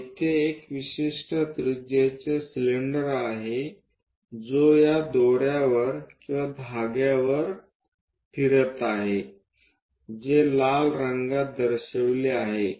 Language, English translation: Marathi, So, here an example a cylinder of particular radius which is winding over this rope or thread which is shown in red color